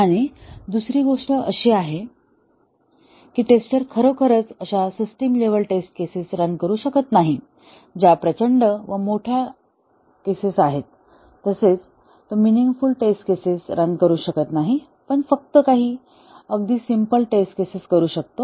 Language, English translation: Marathi, And the second thing is that the tester cannot really run the system level test cases that is huge cases it cannot really run meaningful test cases, only some very simple test cases